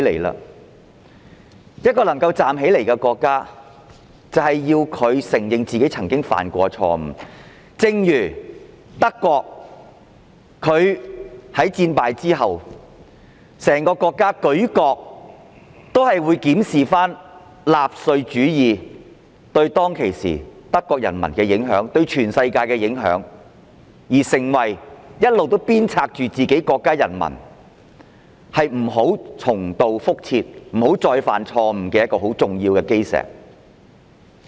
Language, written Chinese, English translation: Cantonese, 然而，一個可以站起來的國家，應當承認自己曾經犯下的錯誤，正如德國在戰敗後，舉國檢視納粹主義對當時的德國人民和全世界的影響，成為一直鞭策自己國民不再重蹈覆轍的重要基石。, However a country which can stand up should admit the mistakes it has committed before . For instance after Germany was defeated the entire nation reviewed the impact of Nazism on the Germans and the whole world at that time laying a significant cornerstone which keeps urging its people never to repeat the same mistake